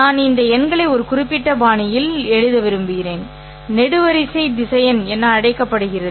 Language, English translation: Tamil, And I want these numbers in a particular fashion which is called as a column vector